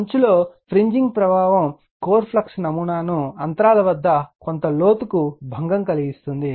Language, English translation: Telugu, The fringing effect also disturbs the core flux patterns to some depth near the gap right